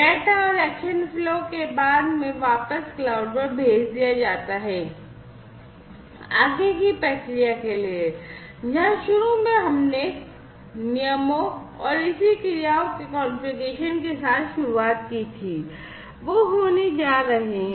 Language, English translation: Hindi, There after the data and the action flow are sent back to the cloud, for further processing, where initially we had started with the configuration of the rules and the corresponding actions, that are going to be taken